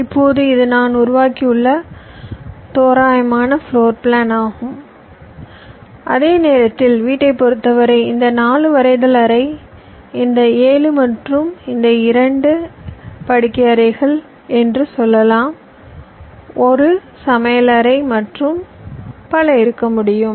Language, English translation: Tamil, right now, this is the rough floorplan that i have arrived, that while in terms of the house, again, i can say this four will be my drawing room, this seven and this two will be my, ah say, bedrooms like that, this one can be my kitchen, and so on